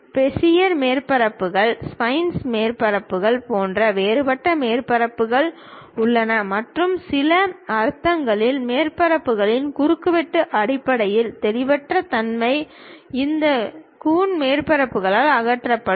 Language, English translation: Tamil, There are different kind of surfaces like Bezier surfaces, spline surfaces and in some sense the ambiguity in terms of intersection of surfaces will be removed by this Coon surfaces